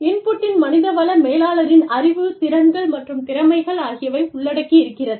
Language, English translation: Tamil, And, the input involves, the HR knowledge, skills, and abilities